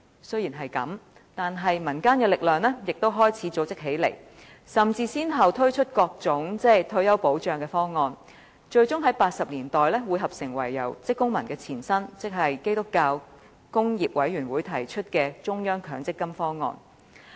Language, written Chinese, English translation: Cantonese, 雖然如此，民間力量亦開始結集起來，先後推出各種退休保障方案，最終在1980年代匯合成由香港職工會聯盟的前身提出的中央公積金方案。, However people in the community began to join forces and put forward various retirement protection proposals one after another . Finally in 1980s they put forward the Central Provident Fund proposed by the Hong Kong Christian Industrial Committee